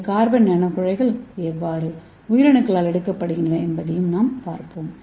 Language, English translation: Tamil, So let us see how this carbon nanotubes can be taken up by the cell